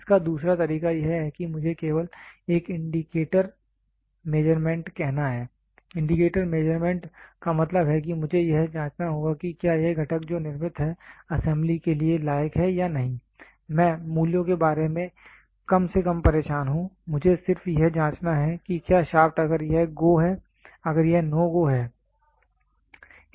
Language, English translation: Hindi, The other way round of it I just have to say an indicator measurement, indicator measurement means I just have to check whether this component which is manufactured is worth for assembling or not I am least bothered about the values, I just have to check whether the shaft is if it is go, if it is not do not go